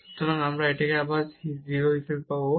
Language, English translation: Bengali, So, we will get this again as 0